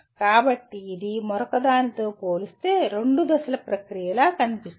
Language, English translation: Telugu, So this looks like a two step process compared to the other one